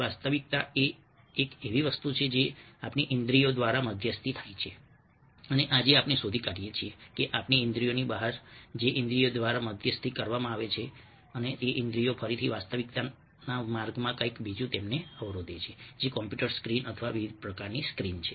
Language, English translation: Gujarati, reality is something which is mediated by our senses, and today we find that ah beyond our senses, although they are mediated by senses, our senses, again, ah have something else blocking them ah on the way to reality, which is the computer screen or various kinds of screen